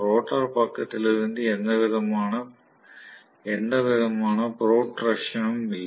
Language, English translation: Tamil, There is no protrusion from the rotor side